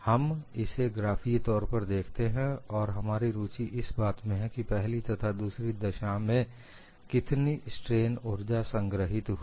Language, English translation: Hindi, We would look at it graphically and what our interest is, to find out what is the strain energy stored in the first case as far as the second case